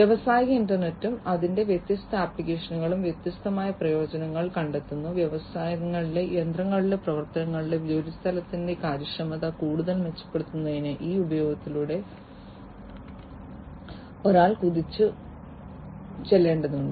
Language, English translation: Malayalam, Industrial internet and its different applications are finding different usefulness and one has to leap through these usefulness to improve upon the efficiency of the workplace of the processes of the machines in the industries even further